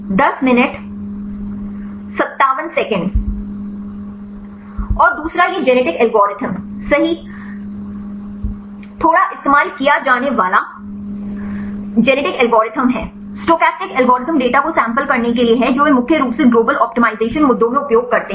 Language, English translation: Hindi, And the another one this is slightly used genetic algorithm right the genetic algorithm is a stochastic algorithm to sample the data right they mainly used in the global optimization issues